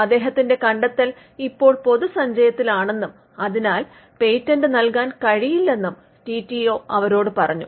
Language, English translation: Malayalam, So, the TTO’s told them that the discovery was now in the public domain and they could not patent it